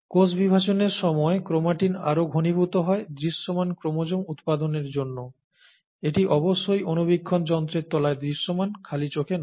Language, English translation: Bengali, During cell division chromatin condenses further to yield visible chromosomes under of course the microscope, not, not to the naked eye, okay